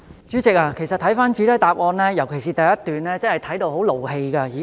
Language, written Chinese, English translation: Cantonese, 主席，其實，看到主體答覆，尤其第一段，我真的很生氣。, President the main reply particularly the first paragraph actually infuriates me